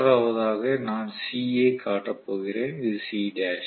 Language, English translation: Tamil, And the third one I am going to show C and this is C dash